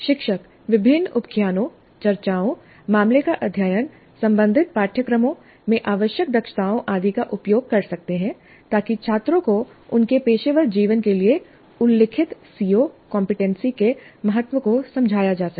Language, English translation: Hindi, Teacher can use a variety of anecdotes, discussions, case studies, competencies required in related courses and so on to make the students see the importance of the stated CO competency to his or her professional life